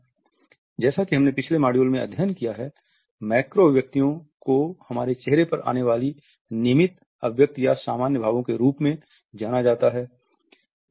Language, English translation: Hindi, Macro expressions as we have a studied in our previous module or what is known as the regular expressions or the normal expressions which come on our face